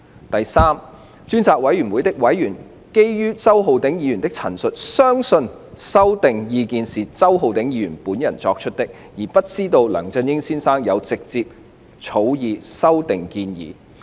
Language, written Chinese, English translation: Cantonese, 第三，專責委員會的委員基於周議員的陳述，相信修訂建議是周議員本人作出，而不知道梁先生有直接草擬修訂建議。, Thirdly on the basis of the statements made by Mr CHOW members of the Select Committee mistook that the proposed amendments were his own work - product and did not know that Mr LEUNG had directly participated in the drafting of these amendments